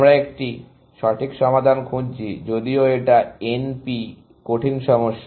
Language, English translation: Bengali, This time, we are looking for an exact solution; even though it is NP hard problem